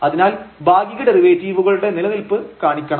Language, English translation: Malayalam, So, the existence of partial derivatives again it is easier